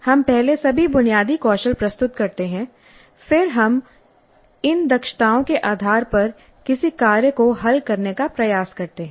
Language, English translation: Hindi, So we present first all the basic skills then we try to solve a task based on these competencies